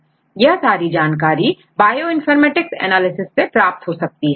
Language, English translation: Hindi, So, all the information you can get from the Bioinformatics analysis